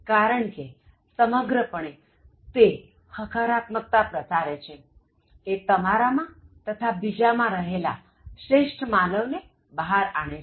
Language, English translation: Gujarati, Because, overall it tries to spread positivity, it tries to bring the best in human beings, both in you as well as in the other person